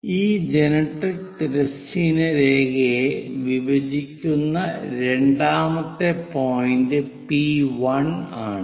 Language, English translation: Malayalam, First point that is our P, the second point where these generatrix horizontal line intersecting is P1